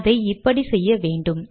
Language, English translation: Tamil, Do this as follows